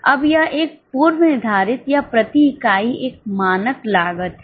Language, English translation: Hindi, Now, it is a predetermined or a standard cost per unit